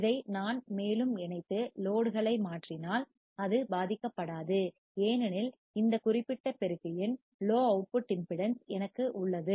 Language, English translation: Tamil, If I connect this further and change the load, it will not be affected because I have low output impedance of this particular amplifier